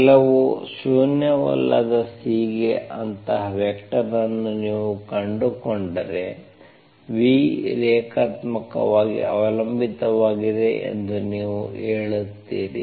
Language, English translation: Kannada, If you can find such a vector for some nonzero C, then you say that v is linearly dependent